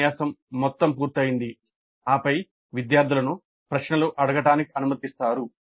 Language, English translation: Telugu, So the entire lecture is completed and then the students are allowed to ask the questions